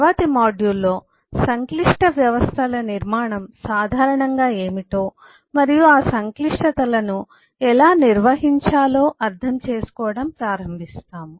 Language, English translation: Telugu, in the next module will come up and start understanding about what the structure of complex systems typically are and how to manage those complexities